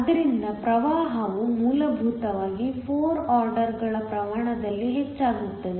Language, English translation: Kannada, So, that the current essentially increases by 4 orders of magnitude